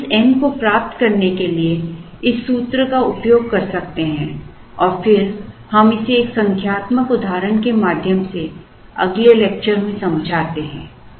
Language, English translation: Hindi, So, we can use this formula to get this n and then we explain this through a numerical example in the next lecture